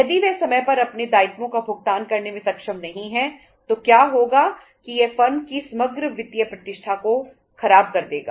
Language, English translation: Hindi, If they are not able to pay its obligations on time then what will happen that it will spoil the overall financial reputation of the firm